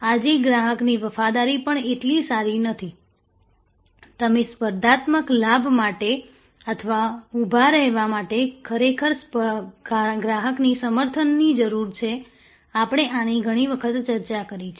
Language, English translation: Gujarati, Even customer loyalty is not good enough today, what you really need for competitive advantage or to stand out is customer advocacy, we have discussed this number of times